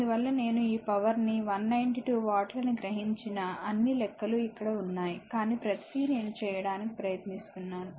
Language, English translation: Telugu, So, that is why the all calculation I have made this power absorbed 192 watt everything is here, but everything I am trying to make it for you